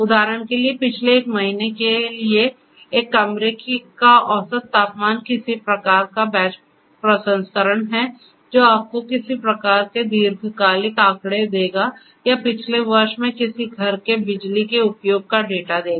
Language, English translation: Hindi, For example, you know the average temperature of a room for the last one month that is some kind of batch processing which will give you some kind of long term statistics or the power usage of a house in the last year